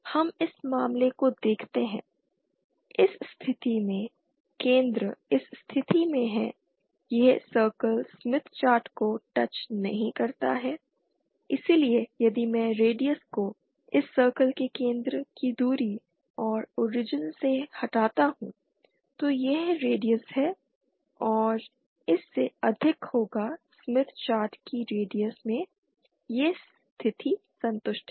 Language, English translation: Hindi, Let us see the case, in this case the center is at this position, this circle does not touch the smith chart, so the radius if I subtract the radius from the distance of the center of this circle from the origin and that will be greater than the radius of smith chart then this condition is satisfied